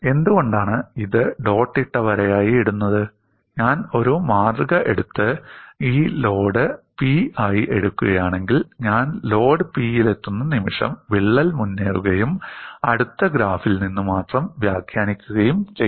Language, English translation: Malayalam, And that is why this is put as dotted line, why this is put as dotted line is, if I take a specimen and then have this load as P, the moment I reach the load P, the crack would advance and I have to interrupt only from the next graph